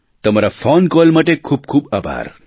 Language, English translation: Gujarati, Thank you very much for your phone call